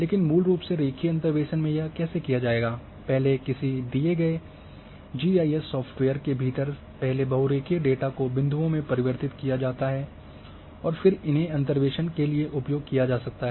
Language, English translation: Hindi, But basically line interpolation what it would be done, first in a within a given GIS software the polyline is first converted into points and then points are used for interpolation